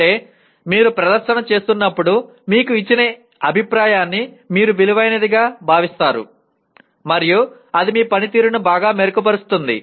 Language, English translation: Telugu, That means you value the feedback that is given to you when you are performing and that will greatly improve your performance